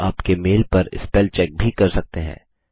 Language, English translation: Hindi, You can also do a spell check on your mail